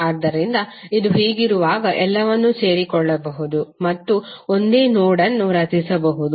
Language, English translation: Kannada, So when it is like this you can join all of them and create one single node